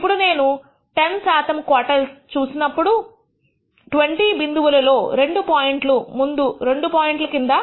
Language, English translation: Telugu, Now if you look at the 10 percent quantile, I can say that out of 20 points two points rst two points fall below 1